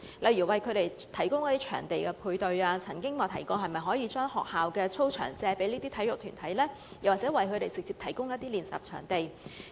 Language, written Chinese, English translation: Cantonese, 例如為他們提供場地配對——我曾經提議是否可以讓這些體育團體借用學校操場作訓練用途呢？, I have suggested whether these sports organizations can borrow the playgrounds of schools for training purpose